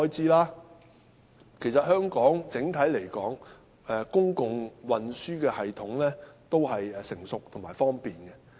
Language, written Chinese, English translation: Cantonese, 整體來說，香港的公共運輸系統成熟而方便。, Generally speaking the public transport system in Hong Kong is mature and convenient